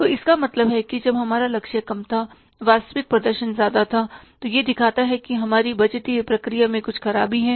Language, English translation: Hindi, So, it means when our target was less, actual performance is more, it shows that there is some defect in our budgetary process